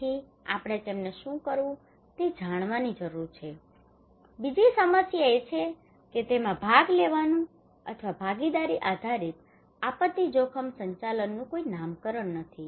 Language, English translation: Gujarati, So we need to know what to do them, another problem is that there is no single nomenclature of participations or participatory based disaster risk management